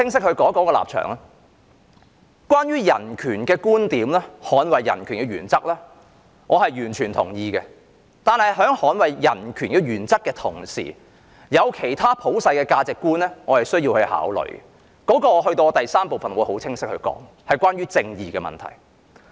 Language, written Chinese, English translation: Cantonese, 對於人權和捍衞人權的原則，我完全同意；但在捍衞人權原則的同時，我也要考慮其他普世價值觀——我在第三部分會更清晰地說明——即正義的問題。, While I totally agree with the principle of defending human rights I also have to in addition to human rights take into account other universal values including justice . I will elaborate on this point in the third part of my speech